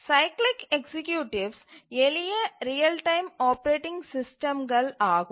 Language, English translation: Tamil, The cyclic executives are the simplest real time operating systems